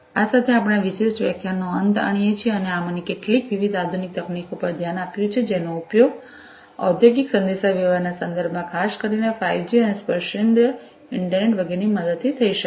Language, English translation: Gujarati, With this we come to an end of this particular lecture and we have looked at some of these different modern technologies that could be used in the context of industrial communication particularly with the help of 5G and tactile internet and so on